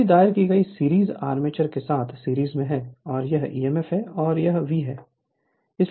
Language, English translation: Hindi, Here series filed is in series with the armature it is in series right and this is your back emf and this is V